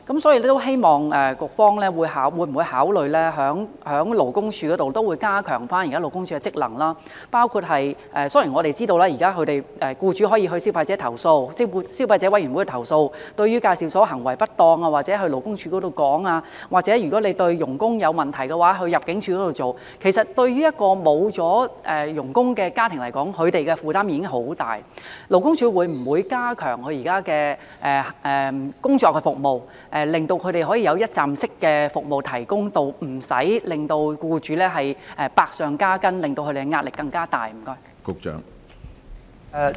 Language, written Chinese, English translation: Cantonese, 所以，局方會否考慮加強勞工處現時的職能，包括......雖然我們知道現時僱主可以向消費者委員會投訴，或者可就介紹所行為不當向勞工處投訴，又或者如果發現外傭有問題，可交由入境處處理，但其實對於一個沒有了外傭的家庭而言，他們的壓力其實相當大，勞工處會否加強其現時的工作，以提供一站式服務，讓僱主無需百上加斤，壓力更大？, In light of this will the Bureau consider enhancing the existing functions of LD including Though we know that employers can now lodge their complaints with the Consumer Council or with LD regarding the malpractices of EAs or have ImmD handle their cases if their FDHs are found to be questionable they are already heavily burdened when their families cease to have FDHs . Will LD strengthen its existing work to provide one - stop services which can free employers from their heavy burden and stress?